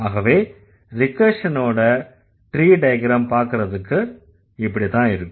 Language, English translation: Tamil, This is how recursion looks in following the tree diagram